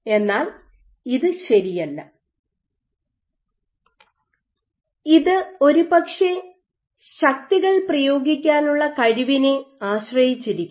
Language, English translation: Malayalam, So, this is not true, and this perhaps depends on the ability to exert forces